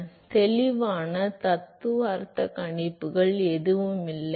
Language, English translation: Tamil, So, there are no clean theoretical predictions which is available